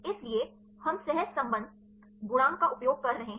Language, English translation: Hindi, So, we using correlation coefficient